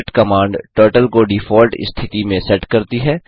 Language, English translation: Hindi, reset command sets Turtle to default position